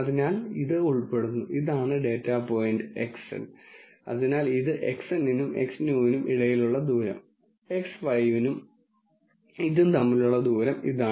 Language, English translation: Malayalam, So, this belongs, this is the data point Xn, so this is the distance between Xn and X new, distance between X 5 and this